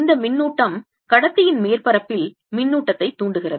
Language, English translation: Tamil, this charge induces charge on the surface of the conductor